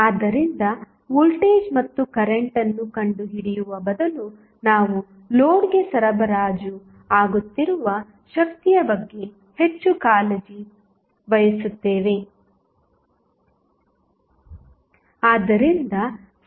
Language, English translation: Kannada, So, rather than finding out the voltage and current we are more concerned about the power which is being supplied to the load